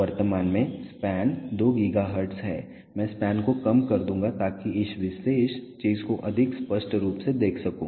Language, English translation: Hindi, The span currently is 2 gigahertz, I will reduce the span so that I can view this particular thing more clearly